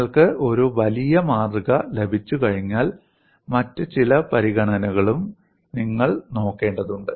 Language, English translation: Malayalam, Once you have a larger specimen, you will also have to look at certain other considerations